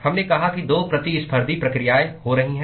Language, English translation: Hindi, We said there are 2 competing processes which are occurring